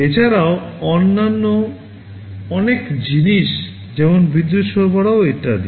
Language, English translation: Bengali, In addition there are so many other things like power supply, etc